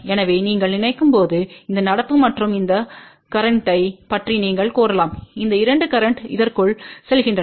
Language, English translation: Tamil, So, we can say that just general you think about, this current and this current these 2 currents are going into this